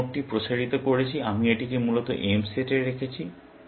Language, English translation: Bengali, The node that I expanded, I put this into the set M, essentially